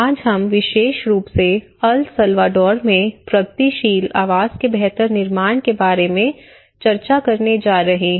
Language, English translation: Hindi, Today, we are going to discuss about the build back better practices especially, in the case of progressive housing in El Salvador